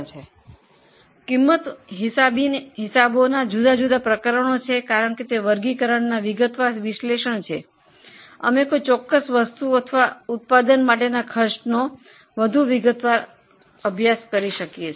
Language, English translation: Gujarati, Now, this will tell us different chapters in cost accounting because this is a detailed analysis on the lines of the classification we can go for more detailed study of a cost for a particular item or for a particular product